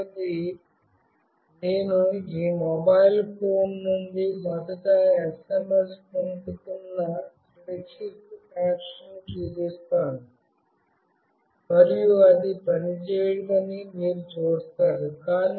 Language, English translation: Telugu, Secondly, I will show a secure connection where I will first send SMS from this mobile phone, and you will see that it will not work